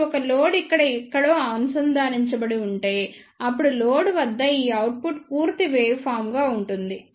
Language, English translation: Telugu, Now, if a load is connected somewhere here then this output achieved at the load will be a complete waveform